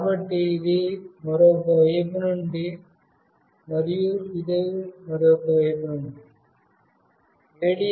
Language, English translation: Telugu, So, this is from the other side and this is from the other one